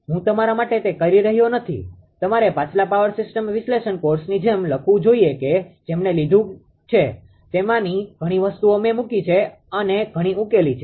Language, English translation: Gujarati, I am not doing it for you you should write it like a previous power system analysis course those who have taken I put many things many of them solve it